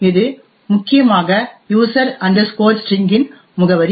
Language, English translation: Tamil, The next thing we actually look at is the address of user string